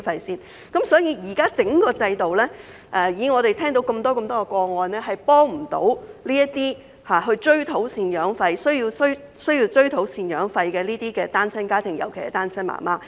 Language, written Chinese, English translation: Cantonese, 所以，就我們聽到的眾多個案而言，現時整個制度無法協助需要追討贍養費的單親家庭，尤其是單親媽媽。, Judging from the cases we have come across the entire system is now unable to assist single - parent families particularly single mothers who need to recover maintenance payments